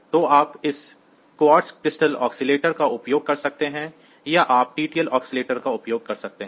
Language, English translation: Hindi, So, you can use a quartz crystal oscillator or you can use a TTL oscillator